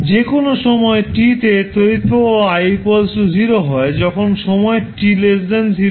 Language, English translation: Bengali, Your current I at any time t can be represented as I is 0 when time t less than 0